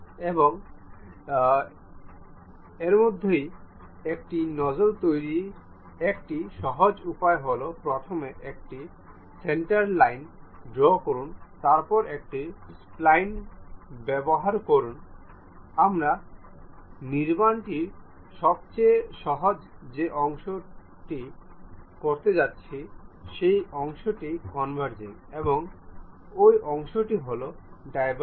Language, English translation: Bengali, And one of the a simple way of constructing these nozzles is first draw a centre line, then use a spline, the easiest construction what we are going to do that portion is converging, and that portion we are having diverging